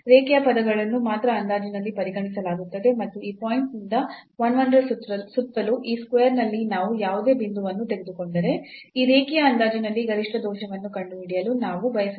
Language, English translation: Kannada, So, only the linear terms are considered in the approximation and we want to find out the maximum error in that linear approximation, if we take any point here in this square around this point 1 1 by this point